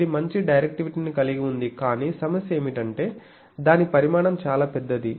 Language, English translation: Telugu, It has a good directivity but problem is it is size is very big